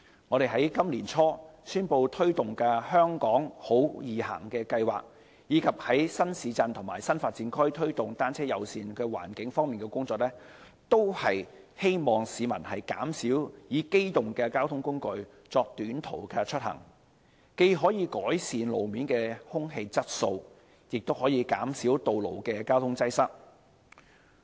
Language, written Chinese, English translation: Cantonese, 我們在今年年初宣布推動的"香港好•易行"計劃，以及在新市鎮及新發展區推動單車友善環境方面的工作，都是希望市民減少以機動交通工具作短途出行，既可改善路面空氣質素，亦可減少道路交通擠塞。, Through launching the Walk in HK programme announced by us early this year and our efforts in promoting a bicycle - friendly environment in new towns and new development areas we hope members of the public can reduce the use of mechanized transport for short - distance commute thereby improving street level air quality and reducing road traffic congestion